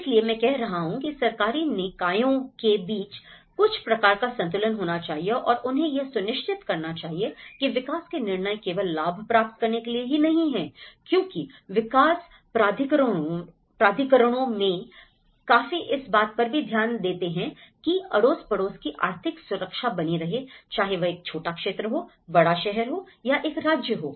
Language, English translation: Hindi, So, that is where, I am saying about there should be also some kind of balance between the government bodies and they should ensure, this kind of balance can ensure that the development decisions are not only profit seeking because many of the development authorities look for the economic security of that particular neighbourhood or a city or a particular state